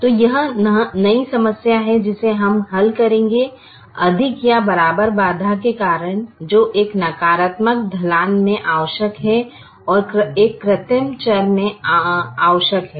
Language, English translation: Hindi, so this is the new problem that we will solve: because of the greater than or equal to constraint which necessitated in a negative slack and necessitated in a artificial variable, there is only one artificial variable